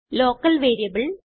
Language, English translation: Malayalam, What is a Local variable